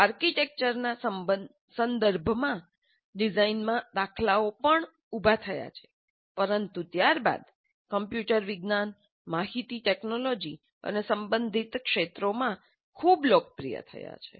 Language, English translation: Gujarati, The patterns in design also arose in the context of architecture, but subsequently has become very popular in computer science, information technology and related areas